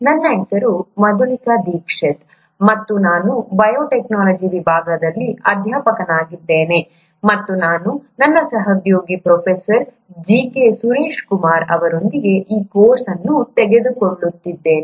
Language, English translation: Kannada, My name is Madhulika Dixit and I am a faculty at Department of Biotechnology, and I am taking this course along with my colleague, Professor G K Suraish kumar